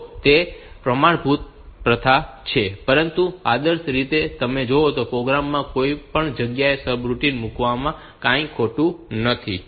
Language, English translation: Gujarati, So, that is the standard practice, but ideally there is nothing wrong in putting the subroutine at any place in the program